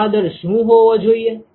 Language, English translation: Gujarati, What should be the flow rate